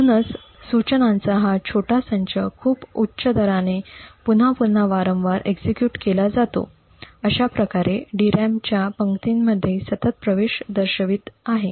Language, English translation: Marathi, So this small set of instructions is repeated over and over again at a very high rate thus posing continuous access to rows in the DRAM